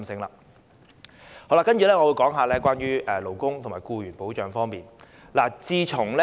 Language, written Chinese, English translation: Cantonese, 接下來，我會說說勞工和僱員保障方面的事宜。, Next I will talk about issues of labour and employee protection